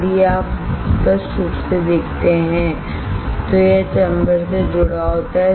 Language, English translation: Hindi, If you see clearly, it is connected to the chamber